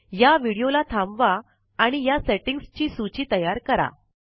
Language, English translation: Marathi, Pause this video and make a note of these settings